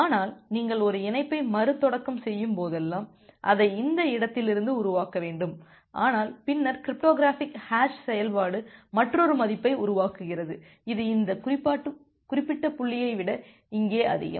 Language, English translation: Tamil, But, then whenever you are restarting a connection you should generate it from this point, but then the cryptographic hash function generates another value which is more than this particular point say for at here